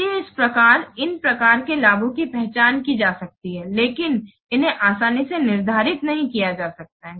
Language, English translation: Hindi, Similarly, some benefits they can be identified but not they can be easily quantified